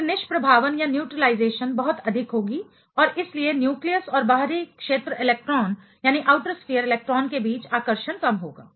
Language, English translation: Hindi, Then, the neutralization will be much more filled and therefore, the attraction between the nucleus and the outer sphere electron will be less